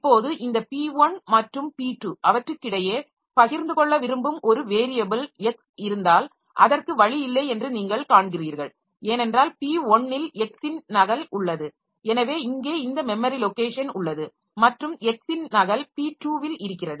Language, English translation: Tamil, Now, if there is a variable X which this P1 and P2 wants to share between them, then you see there is no way because the copy of X that I have in P1, so this is memory location here and copy of x that I have in p2 so that that is there so they are not the same x okay so what we need to do is that we should have some portion of memory which we call shared memory